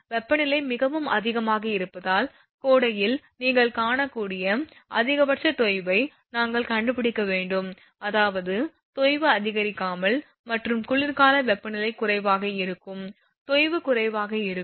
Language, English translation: Tamil, We have to find out the maximum sag in summer you can find due to temperature the temperature is very high; that means, sag may increase and winter temperature is low the sag will be less